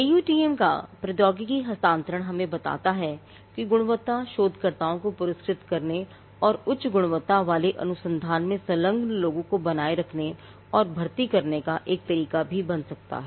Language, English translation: Hindi, Transfer of technology the AUTM tells us can itself become a way to reward quality researchers and to also retain and recruit people who engage in high quality research